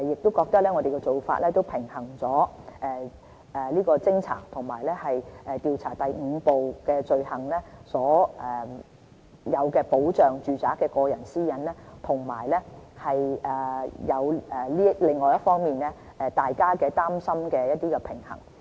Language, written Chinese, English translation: Cantonese, 我們認為這做法能平衡偵察和調查第5部所訂罪行及保障住宅內個人私隱的需要，以及減輕大家的擔心。, We believe this practice can balance the need for inspecting and investigating offences under Part 5 and the protection of privacy in domestic premises . This arrangement will alleviate Members worries too